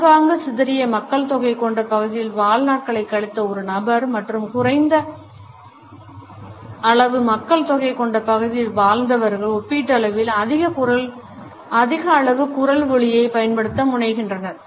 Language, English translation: Tamil, In comparison to a person who has spent a life time in sparsely populated place and those people who are from less populated places tend to use a higher volume